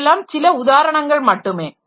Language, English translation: Tamil, These are some representative examples